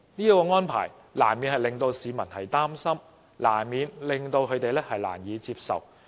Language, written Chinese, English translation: Cantonese, 這種安排難免令市民擔心和難以接受。, Given such unacceptable arrangement the public cannot help but worry